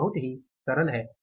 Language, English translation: Hindi, It is very simple